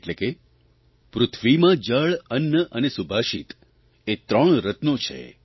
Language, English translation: Gujarati, That is, water, grain and subhashit are the three gems found on earth